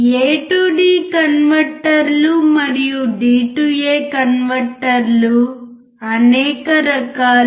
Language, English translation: Telugu, There are several types of a to d converters and d to a converters